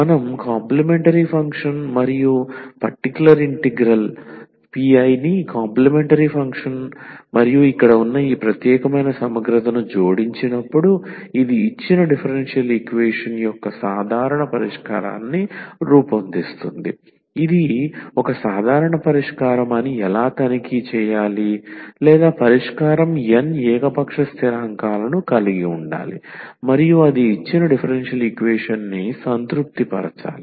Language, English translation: Telugu, So, when we add the C F and p I the complimentary function plus this particular integral like here this will form a general solution of the given differential equation how to check that this is a general solution or not the solution should have n arbitrary constants that u itself has arbitrary n arbitrary constants and it should satisfy the given differential equation